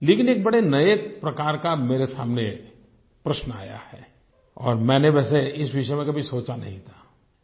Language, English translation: Hindi, But I have been confronted with a new type of question, about which earlier I had never given a thought